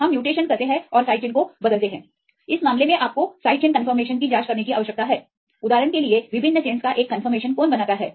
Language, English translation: Hindi, We do the mutations and change the side chains in this case you need to check the conformation of the side chain; for example, what makes a conformation of the different chains right